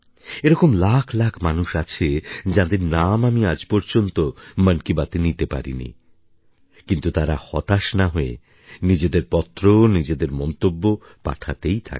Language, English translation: Bengali, There are lakhs of persons whose names I have not been able to include in Mann Ki Baat but without any disappointment,they continue to sendin their letters and comments